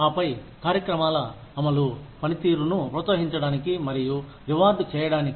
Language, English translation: Telugu, And then, the implementation of programs, to encourage and reward performance